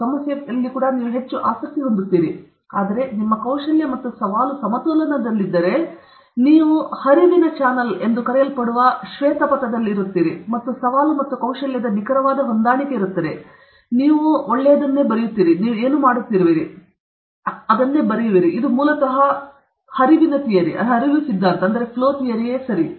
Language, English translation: Kannada, problem also, then you will be highly anxious, but if your skill and challenge are in balance, you are in that white path which is called the flow channel, and there is an exact matching of challenge and skill, the best thing you will come out, and you will enjoy what you are doing; this is the basically the Flow Theory okay